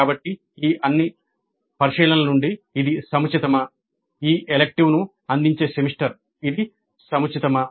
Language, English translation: Telugu, So from all these considerations is it appropriate the semester in which this elective is offered is it appropriate